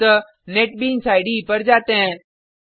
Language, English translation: Hindi, So, let us switch to Netbeans IDE